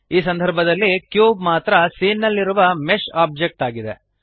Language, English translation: Kannada, In this case, the cube is the only mesh object in the scene